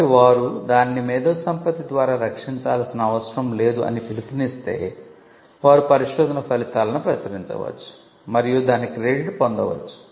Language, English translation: Telugu, So, if they take a call that they will not protect it by way of an IP, then they can publish the result research results and get the credit for the same